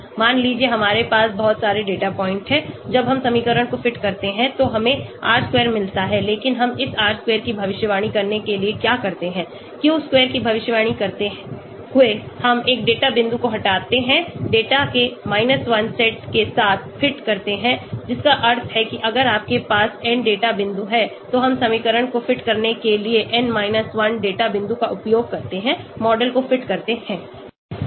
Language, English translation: Hindi, Suppose we have so many data points when we fit the equation we get R square but what we do is for predicting this R square, predicted of Q square, we remove one data point, fit with the 1 set of data that means if you have n data points we use n 1 data point to fit the equation, fit the model